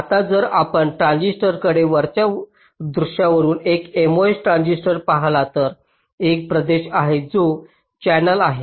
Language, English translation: Marathi, now, if you look at a transistor, say from a top view, a mos transistor, there is a region which is the channel